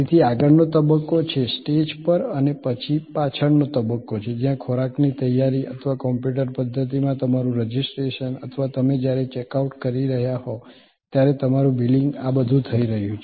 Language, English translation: Gujarati, So, there is a front stage, on stage and then there is a back stage, where preparation of the food or your registration in the computer system or your billing when you are checking out, all of these are happening